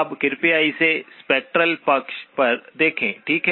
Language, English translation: Hindi, Now but please look at it on the spectral side, okay